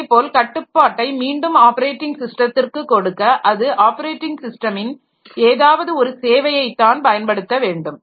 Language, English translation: Tamil, Similarly to give the control back to the operating system, it has to use some services of the operating system only